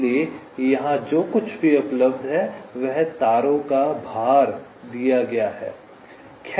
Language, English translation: Hindi, so whatever is available here is that the weights of the wires are given